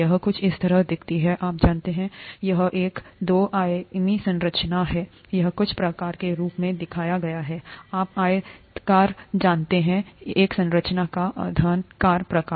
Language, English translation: Hindi, It looks something like this, you know, this is a two dimensional structure, this is shown as some sort of a, you know rectangular, a cuboidal kind of a structure